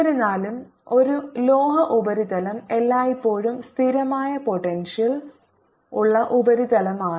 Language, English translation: Malayalam, however, a metallic surface, his is always constant potential surface